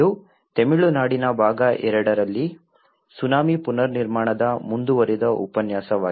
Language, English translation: Kannada, This is a continuation lecture of tsunami reconstruction in Tamil Nadu part two